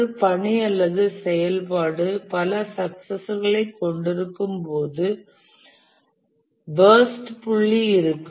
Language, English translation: Tamil, And then we have this burst point where a task or activity has multiple successors